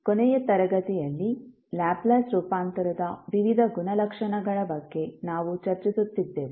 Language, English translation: Kannada, In the last class, we were discussing about the various properties of Laplace transform